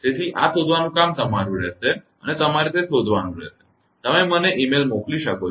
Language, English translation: Gujarati, So, your job will be to find out and you have to find out you can send me the mail